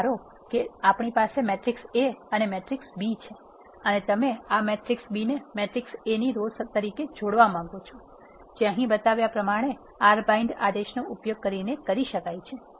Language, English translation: Gujarati, Let us suppose we have a matrix A and matrix B and you want to concatenate this matrix B as a row in matrix A that can be done using the R bind command which is shown here